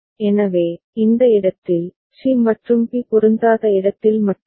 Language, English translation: Tamil, So, only where, in this place, c and b are not matching